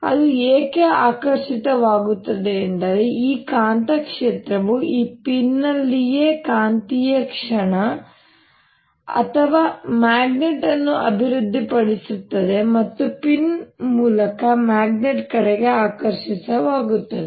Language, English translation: Kannada, why it gets attracted is because this magnetic field develops a magnetic moment or a magnet in this pin itself and the pin gets attracted towards the original magnet